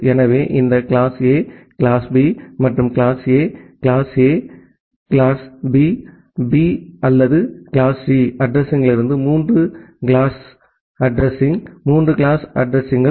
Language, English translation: Tamil, So, the 3 address, 3 classes of address that we have this class A class B and class C from class A class A, class B B or class C address